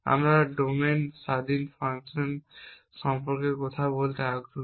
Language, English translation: Bengali, We are interested in talking about domain independent fashions